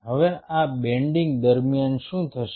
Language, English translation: Gujarati, now, during this bending, what will happen